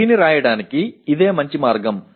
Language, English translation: Telugu, Is this the best way to write this